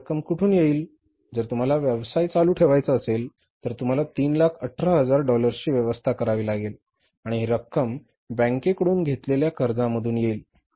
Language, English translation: Marathi, If you want to carry on the business you have to arrange $318,000 and this amount will come from borings from the bank